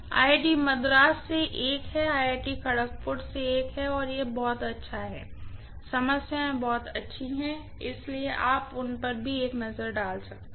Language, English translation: Hindi, There is one from IIT Madras, there is one from IIT Kharagpur also, and it’s pretty good, the problems are pretty good, so you might like to take a look at those also